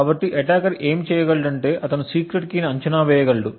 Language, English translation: Telugu, So, what the attacker could do is that he could create a guess of the secret key